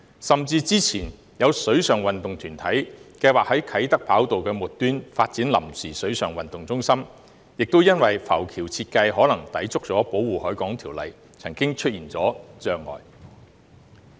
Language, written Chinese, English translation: Cantonese, 甚至之前有水上運動團體計劃在啟德跑道的末端發展臨時水上運動中心，亦因為浮橋設計可能抵觸《條例》，曾經出現障礙。, Even the previous plan of a water sports group to develop a temporary water sports centre at the end of the Kai Tak runway was hindered by the possibility of the design of the pontoon being in breach of the Ordinance